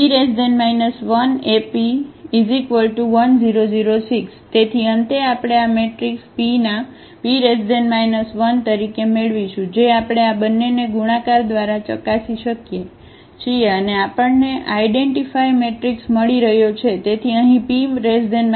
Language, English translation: Gujarati, So, finally, we will get this as the as the P inverse of this matrix P which we can also verify by multiplying these two and we are getting the identity matrix